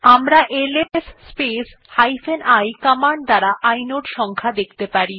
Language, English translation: Bengali, We can use ls space i command to see the inode number of a file